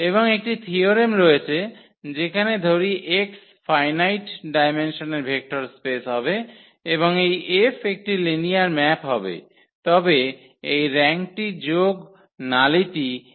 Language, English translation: Bengali, And there is a theorem that let X be a vector space of finite dimension then and let this F be a linear map then this rank plus nullity is equal to dimension of X